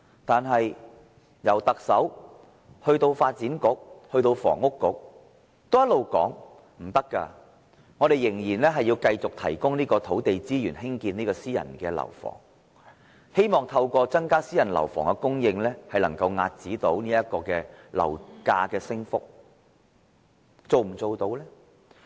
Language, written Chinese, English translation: Cantonese, 可是，從特首到發展局，以至是運輸及房屋局也一直表示這方向不可行，指出當局必須繼續提供土地資源興建私人樓房，透過增加私人樓房供應來遏止樓價升幅。, Yet the Chief Executive and the Development Bureau as well as the Transport and Housing Bureau keep saying that the direction is impracticable for the authorities must continue providing land resource for private housing to increase private housing supply in order to curb the rise in property prices